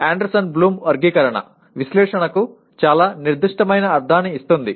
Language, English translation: Telugu, But whereas Anderson Bloom Taxonomy gives a very specific meaning to Analyze